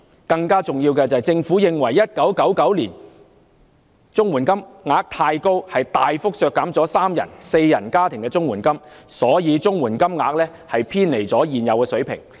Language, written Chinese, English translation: Cantonese, 更重要的是，政府在1999年認為綜援金額太高，大幅削減了三人及四人家庭的綜援金額，故此綜援金額早已偏離應有的水平。, More importantly still the Government considered that the amount of CSSA payment was too high in 1999 and then cut substantially the amounts of CSSA payment for three - member and four - member families . As a result the amount of CSSA payment has already deviated from the appropriate level